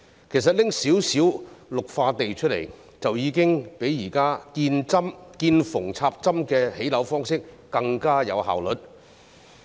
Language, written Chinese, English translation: Cantonese, 其實，只須撥出少許綠化土地，已經較現時見縫插針的建屋方式更有效率。, In fact the allocation of only a few green areas will already be much more effective than the current practice of building stand - alone housing blocks on infill sites